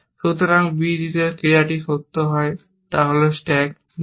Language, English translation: Bengali, So, the action that makes on b d true is stack BD